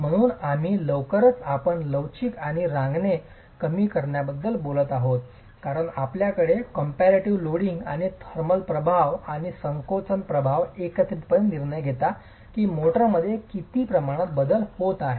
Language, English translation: Marathi, So, you're really talking of the elastic and creep shortening as you have compressive loading and the thermal effects and the shrinkage effects together deciding how much of volume change is going to happen in the motor itself